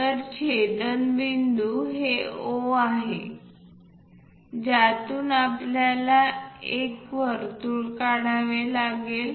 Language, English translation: Marathi, So, intersection point is O through which we have to construct a circle